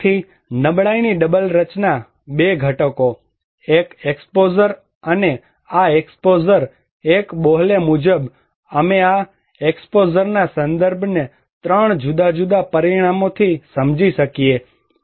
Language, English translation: Gujarati, So, double structure of vulnerability, two components; one is the exposure one and this exposure one according to Bohle that we can understand this exposure context from 3 different dimensions